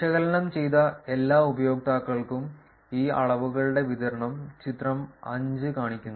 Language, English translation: Malayalam, Figure 5 shows the distributions of these measures for all analyzed users